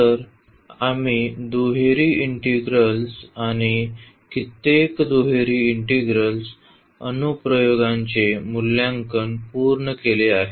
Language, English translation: Marathi, So, we have already finished evaluation of double integrals and many other applications of double integral